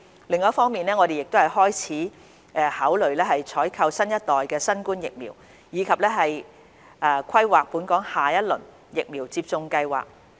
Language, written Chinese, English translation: Cantonese, 另一方面，我們亦開始考慮採購新一代新冠疫苗，以及規劃本港下一輪疫苗接種計劃。, On the other hand we have started to consider procuring the next generation COVID - 19 vaccines with a view to planning for the next phase of vaccination programme in Hong Kong